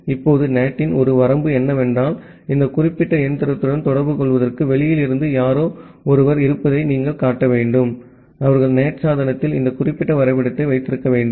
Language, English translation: Tamil, Now one limitation of NAT is that see, you need to show to have someone from outside to communicate with this particular machine, they need to have this particular mapping in the NAT device